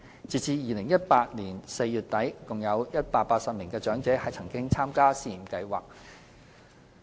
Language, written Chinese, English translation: Cantonese, 截至2018年4月底，共有約180名長者曾參加試驗計劃。, As of the end of April 2018 about 180 elderly persons joined the scheme